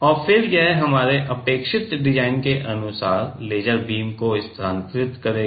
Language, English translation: Hindi, And then it will move the laser beam according to our required design